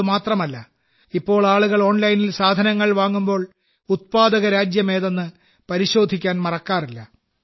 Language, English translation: Malayalam, Not only that, nowadays, people do not forget to check the Country of Origin while purchasing goods online